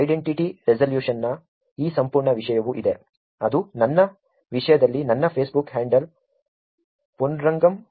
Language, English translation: Kannada, There is also this whole topic of identity resolution which we will cover, which is in my case my Facebook handle is ponnurangam